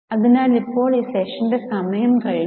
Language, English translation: Malayalam, So, now the time for this session is up